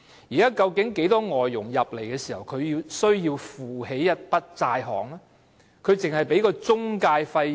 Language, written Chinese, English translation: Cantonese, 現時，很多外傭來港時，也要負擔一筆債項，究竟外傭要繳交多少中介費呢？, At present many foreign domestic helpers are burdened with a debt when they come to Hong Kong . How much agency fees do these foreign domestic helpers have to pay?